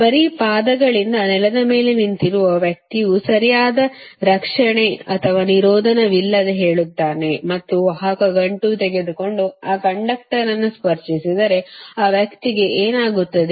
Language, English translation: Kannada, suppose a man standing on the ground with bare feet, say with no, no proper protection or insulation, and taking a conductive knot and touching that conductor, what will, what will happen to that parcel